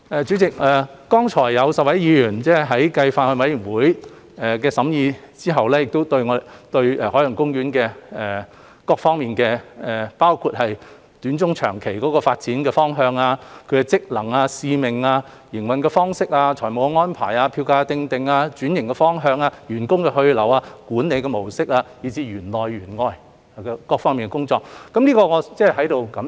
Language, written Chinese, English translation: Cantonese, 主席，剛才有10位議員繼法案委員會審議後，對海洋公園各方面，包括其短、中、長期發展方向、職能、使命、營運方式、財務安排、票價訂定、轉型方向、員工去留、管理模式，以至是園內園外各方面的工作提出了意見，我在此表示感謝。, President further to the deliberations of the Bills Committee 10 Members have expressed their views on various aspects of OP including its development direction in the short medium and long - term functions missions mode of operation financial arrangements fare setting direction of transformation staff retention management model as well as various aspects of work inside and outside OP . I have to express my gratitude to them